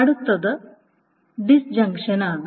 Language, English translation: Malayalam, The next one is disjunction